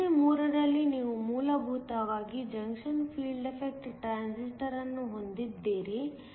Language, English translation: Kannada, In problem 3, you essentially have a junction field effect transistor